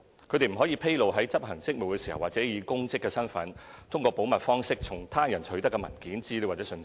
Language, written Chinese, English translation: Cantonese, 他們不得披露在執行職務時或以公職身份通過保密方式從他人取得的文件、資料或信息。, They shall not disclose documents information or knowledge received in confidence from others in the course of their duties or by virtue of their official position